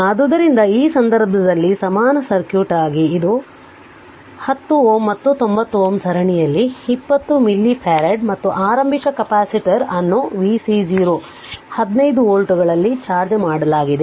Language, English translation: Kannada, So, in this case your this is the equivalent circuit right, this is the x 10 ohm and 90 ohm are in series that it is 20 milli farad and initial capacitor was charged at v c 0 is equal to 15 volts that you have seen right